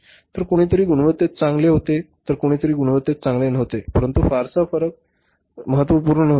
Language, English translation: Marathi, So, somebody was good in the quality, somebody was not good in the quality, but the difference was not very significant